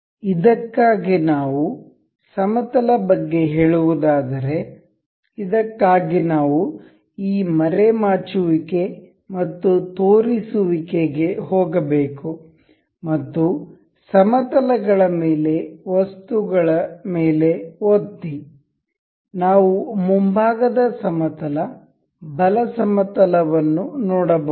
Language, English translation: Kannada, We can see planes say supposed for this we have to go on this hide and show items click on planes, we can see the front plane right plane